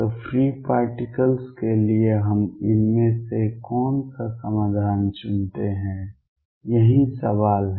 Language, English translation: Hindi, So, for free particles which one of these solutions do we pick that is the question